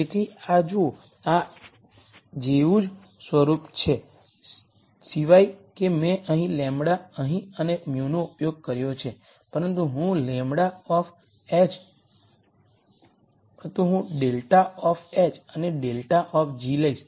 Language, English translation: Gujarati, So, look at this, this is the same form of as this except that I used lambda here and mu here, but I take a take a grad of h and grad of g